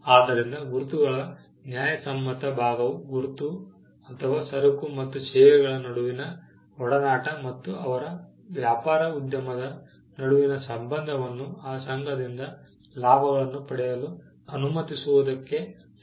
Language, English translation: Kannada, So, the fairness part of the marks pertains to letting the person, who came up with the mark or a association between goods and services and his business enterprise to get the benefits out of that association